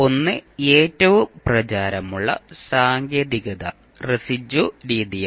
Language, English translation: Malayalam, The one, the most popular technique is residue method